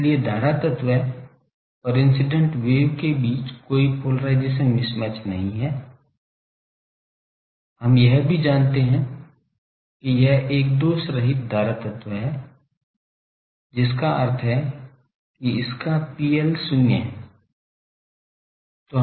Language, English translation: Hindi, So, there is no polarization mismatch between the current element and, the incident wave also we assume it is a lossless current element that means its R L is zero